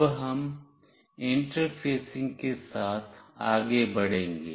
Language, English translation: Hindi, Now, we will go ahead with the interfacing